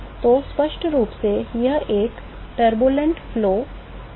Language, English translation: Hindi, So, clearly it is a turbulent flow turbulent condition